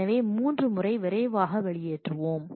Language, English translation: Tamil, So, the first 3 we will quickly out like